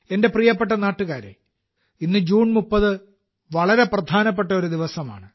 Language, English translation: Malayalam, My dear countrymen, today, the 30th of June is a very important day